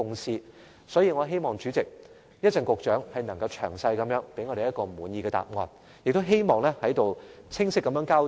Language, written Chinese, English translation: Cantonese, 所以，代理主席，我希望局長稍後能詳細給我們一個滿意的答案和清晰交代。, Deputy President I therefore hope that the Secretary can give us a satisfactory answer and a clear explanation later on in the meeting